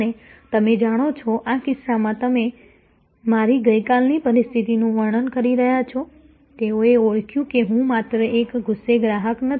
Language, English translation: Gujarati, And you know, in this case as you are describing my yesterday situation, they recognized that I am not only just an angry customer